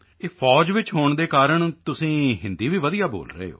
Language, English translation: Punjabi, Being part of the army, you are also speaking Hindi well